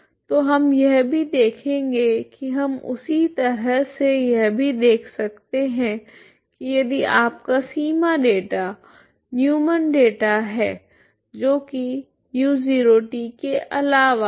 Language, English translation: Hindi, So will also see we can in the same way we can also see if your if your boundary data is Neumann data that is U X instead of U 0 of T